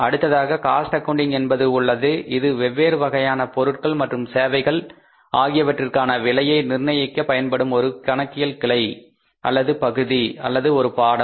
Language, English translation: Tamil, So, cost accounting is the branch or the area or the discipline of learning where we learn about how to cost the products and different type of the products and the services